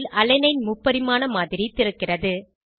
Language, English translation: Tamil, A 3D model of Alanine opens on screen